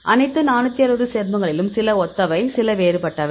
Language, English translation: Tamil, So, now all the 460 then some of them are similar, some of them are diverse